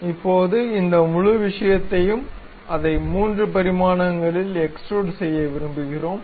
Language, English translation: Tamil, Now, this entire thing, we would like to extrude it in 3 dimensions